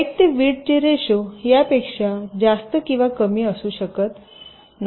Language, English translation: Marathi, the height to width ratio cannot be more then or less then this